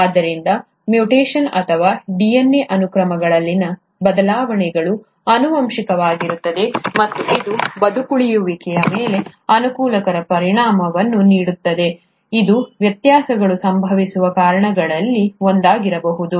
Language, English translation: Kannada, So mutation, or changes in DNA sequences which are heritable and which do provide favourable effect on to survival could be one of the reasons by which the variations are happening